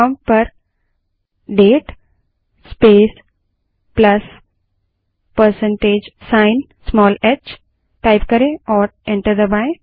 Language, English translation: Hindi, Type at the prompt date space plus% small h and press enter